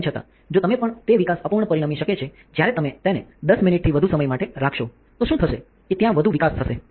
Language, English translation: Gujarati, However, if you also the it can also result in a under development, while if you keep it for greater than 10 minutes what will happen that there will be over development